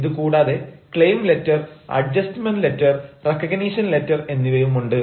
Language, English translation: Malayalam, then there can be a claim letter, adjustment letter and letters of recognition